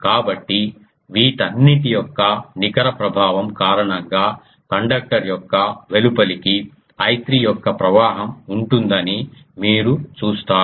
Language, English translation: Telugu, So, you see that net effect of all these is this flow of I 3 to the outer of the conductor